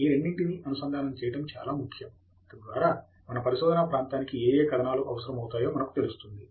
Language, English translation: Telugu, It’s very important to link these two, so that we know which articles we need for our research area